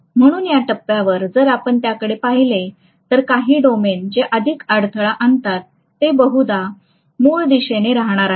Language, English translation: Marathi, So at this point if you look at it, some of the domains which are more obstinate, they are probably going to stay in the original direction